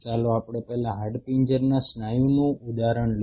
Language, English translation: Gujarati, Let us take the example of skeletal muscle first